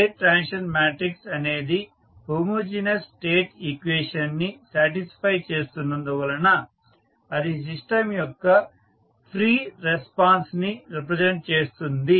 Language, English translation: Telugu, As the state transition matrix satisfies the homogeneous state equation it represent the free response of the system